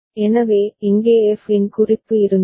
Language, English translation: Tamil, So, here was a reference of f